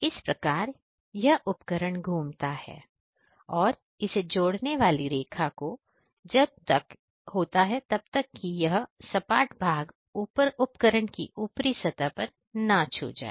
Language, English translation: Hindi, So, that the tool rotates and plunges into this the joining line until and unless this flat part touches on the top surface of the tool ok